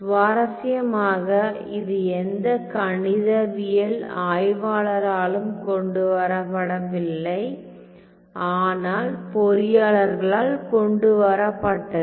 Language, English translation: Tamil, So, interestingly it was not brought about by any mathematicians, but engineers